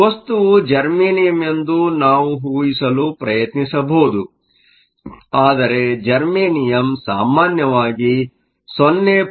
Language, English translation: Kannada, We can sought of make a guess that the material is germanium, but germanium usually has a band gap of around 0